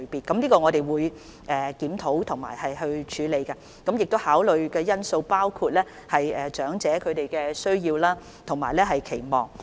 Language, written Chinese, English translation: Cantonese, 我們會就這方面進行檢討和處理，而考慮因素包括長者的需要和期望。, We will review and follow up on this matter taking into account the needs and expectations of the elders